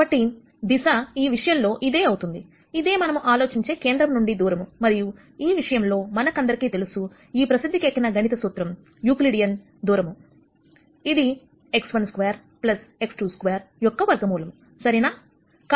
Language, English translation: Telugu, So, in this case the direction is this and the magnitude is, what we think of as a distance from the origin and in this case we all know, this well known formula for Euclidean distance, which is root of x 1 square plus x 2 2 square right